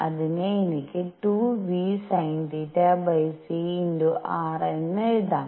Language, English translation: Malayalam, So, this is going to be 2 v sin theta divided by c